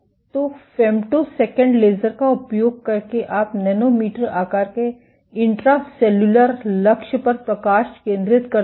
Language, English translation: Hindi, So, using femtosecond lasers you focus light onto a nanometer sized intracellular target